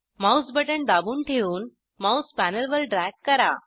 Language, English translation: Marathi, Double click and drag the mouse